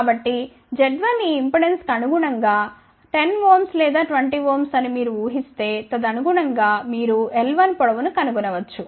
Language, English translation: Telugu, So, z 1 corresponding to this impedance your assuming may be 10 ohm or 20 ohm, then correspondingly you can find the length l 1